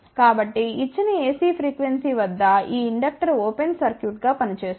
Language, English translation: Telugu, So, that at a given ac frequency this inductor will act as a open circuit